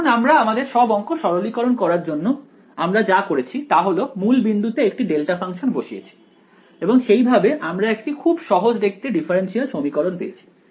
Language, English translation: Bengali, Now, what we had done to simplify all our math was that we put the delta function at the origin right; and that is how we got this simple looking differential equation